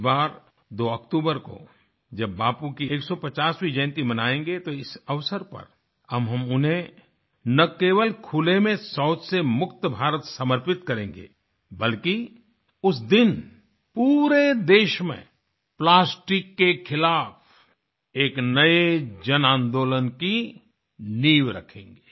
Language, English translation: Hindi, This year, on the 2nd of October, when we celebrate Bapu's 150th birth anniversary, we shall not only dedicate to him an India that is Open Defecation Free, but also shall lay the foundation of a new revolution against plastic, by people themselves, throughout the country